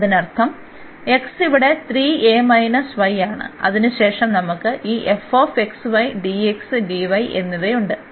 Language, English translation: Malayalam, So that means, x here is 3 a minus y and then we have this f x y and dx and dy